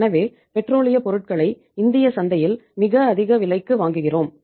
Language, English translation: Tamil, So thus we are buying the petroleum products at a very high price in the Indian market